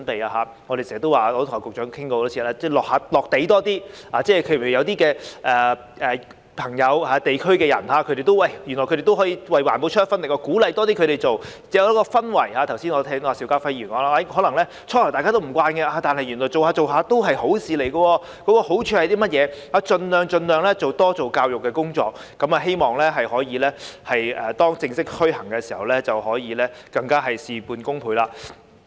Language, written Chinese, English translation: Cantonese, 正如我們經常說，我也跟局長多次討論，應該多些"落地"，例如有些朋友和地區人士原來也可以為環保出一分力，便應多鼓勵他們做，以致建立一種氛圍，正如剛才邵家輝議員所說的，可能最初大家都不習慣，但原來逐漸便發覺是好事，了解有甚麼好處，盡量多做教育的工作，希望在正式推行時可以事半功倍。, As we always say and as I have discussed with the Secretary many times there should be more local involvement . For example if some people and members of the local community can contribute to environmental protection they should be given more encouragement to do so in order to build up an atmosphere and just as Mr SHIU Ka - fai said just now while people may not be used to it at first gradually they will realize that it is a good thing and understand its benefits . Public education should be stepped up by all means in the hope that when it is officially implemented we can get twice the result with half the effort